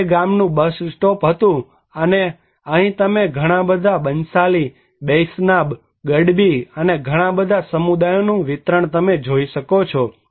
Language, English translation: Gujarati, This was the village bus stop and here a lot of Banshali, Baishnab, Gadbi, so lot of distribution of communities are you can see here